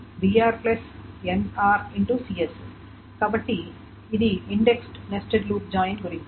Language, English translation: Telugu, So that is about the index nested loop join